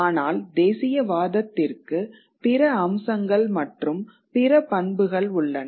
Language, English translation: Tamil, But nationalism has other features, other characteristics